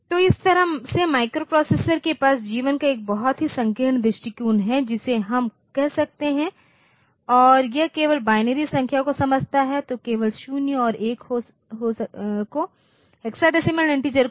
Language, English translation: Hindi, So, that way the microprocessor it has got a very narrow view of life we can say and it only understands binary numbers, so only zeros and ones not the octal hexadecimal integers like that